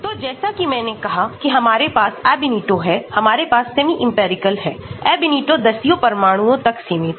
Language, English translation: Hindi, So, like I said we have the Ab initio, we have the semi empirical; Ab initio is limited to tens of atoms